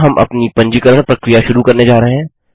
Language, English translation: Hindi, Here we are going to start our registration process